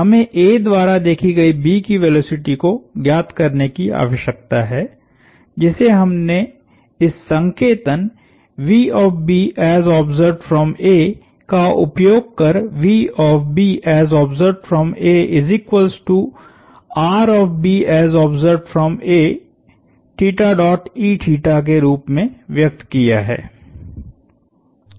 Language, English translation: Hindi, We need to find the velocity of B as observed by A which we have used this notation to denote